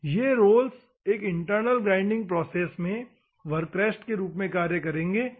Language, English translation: Hindi, These rolls will act as a work rest in an external centreless grinding process, ok